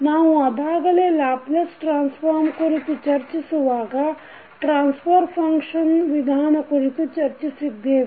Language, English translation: Kannada, This transfer function concept we have already discussed when we were discussing about the Laplace transform